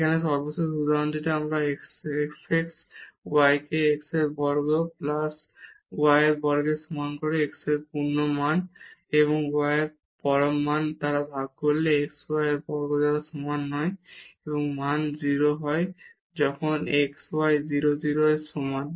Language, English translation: Bengali, The last example here we take this fx y is equal to x square plus y square divided by absolute value of x plus absolute value of y when x y not equal to 0 0